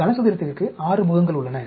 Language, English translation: Tamil, These are, there are 6 faces to the cube